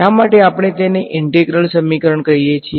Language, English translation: Gujarati, Now why do we call it an integral equation